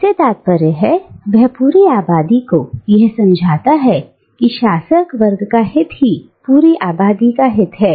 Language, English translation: Hindi, That is, by convincing the entire population that the interest of the ruling class is the interest of the entire population